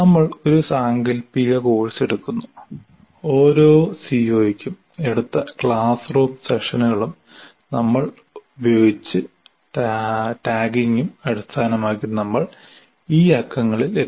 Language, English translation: Malayalam, We are taking a hypothetical course and say the based on classroom sessions taken for each COO and the tagging that we have used, we came up with these numbers